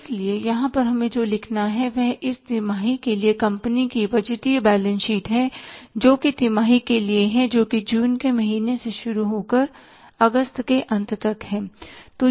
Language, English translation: Hindi, So, here but we have to write is that is the, say, budgeted balance sheet of this company for the quarter that is for the quarter that is beginning from month of June to the ending month of August